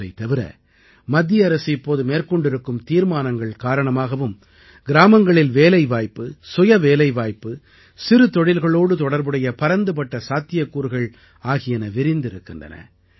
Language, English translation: Tamil, Besides that, recent decisions taken by the Central government have opened up vast possibilities of village employment, self employment and small scale industry